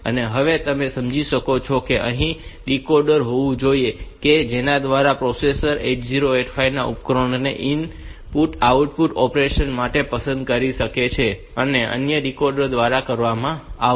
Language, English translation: Gujarati, And, now you can understand that here must be a decoder by which this 8085 should be able to select these devices for input output operation and that is done by means of another decoder